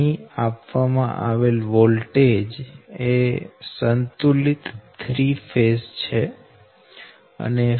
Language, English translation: Gujarati, the applied voltage is balanced three phase